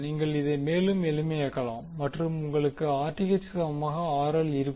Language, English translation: Tamil, You can simplify it and you get RL is equal to Rth